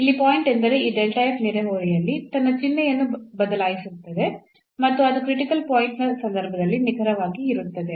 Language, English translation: Kannada, So, the point is that this delta f is changing its sign in the neighborhood and that is exactly the case of the critical point